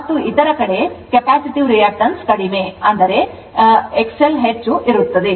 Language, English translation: Kannada, And in other side capacitance reactance is less, but this one will be X L will be more